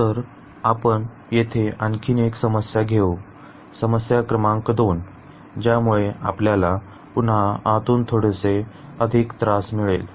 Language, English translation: Marathi, So, let us take another problem here, problem number 2 which will give us now again little more inside